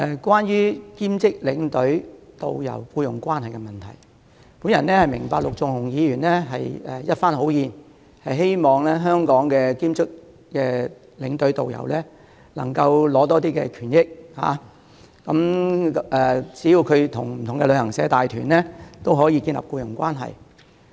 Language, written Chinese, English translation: Cantonese, 關於兼職領隊及導遊的僱傭問題，我明白陸頌雄議員是一番好意，希望為香港的兼職領隊及導遊爭取權益，好讓他們即使是為不同的旅行社帶團，也可建立僱傭關係。, Regarding the employment issue of part - time tour escorts and tourist guides I understand that Mr LUK Chung - hung is fighting for the rights and interests of our part - time tour escorts and tourist guides out of good intentions hoping that they can be protected under an employment relationship even if they work for several travel agents at the same time